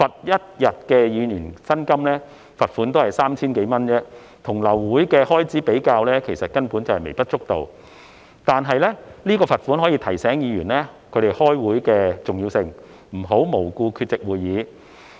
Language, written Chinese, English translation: Cantonese, 一天的議員薪酬罰款約 3,000 多港元，與流會的開支比較，根本微不足道，但罰款可以提醒議員開會的重要性，不能無故缺席會議。, The financial penalty equivalent to one days remuneration of a Member is approximately HK3,000 which is really insignificant compared with the cost wasted by an abortion of meeting . Yet a financial penalty can remind Members of the importance of meeting attendance and that they should not be absent without valid reasons